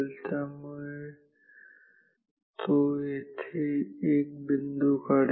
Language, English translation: Marathi, So, the computer will only draw these dots